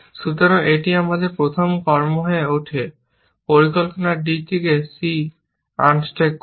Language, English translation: Bengali, So, this becomes our first action; unstack c from d